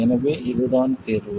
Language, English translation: Tamil, So, this is the solution